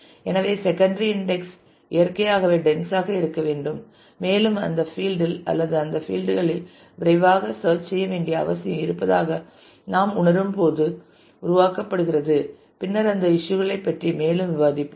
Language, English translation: Tamil, So, secondary index naturally has to be dense and is created when we want we feel that there is a need to quickly search on that field or that set of fields and we will discuss more about those issues later on